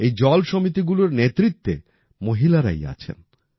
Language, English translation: Bengali, The leadership of these water committees lies only with women